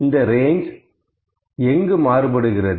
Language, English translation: Tamil, What is the range of difference